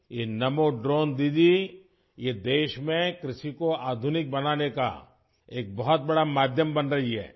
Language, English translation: Urdu, This Namo Drone Didi is becoming a great means to modernize agriculture in the country